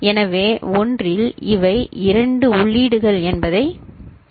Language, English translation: Tamil, So, in one you see that these are the two inputs